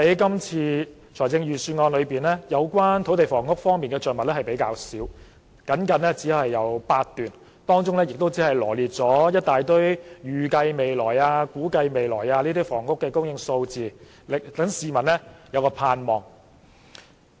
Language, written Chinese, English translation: Cantonese, 今次預算案對土地房屋的着墨較少，只有僅僅8段，當中羅列了一大堆"預計未來"、"估計未來"的房屋供應數字，讓市民有所盼望。, The Budget makes relatively little mention of land and housing . There are only eight paragraphs in which a whole host of expected and estimated numbers of housing supply are enumerated giving people much hope